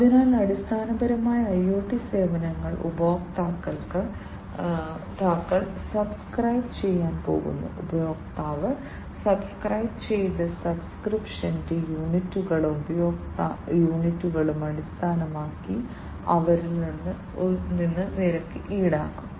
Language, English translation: Malayalam, So, basically you know IoT services, the customers are going to subscribe to and they are going to be charged based on the units of subscription, that the customer has subscribed to and the units of usage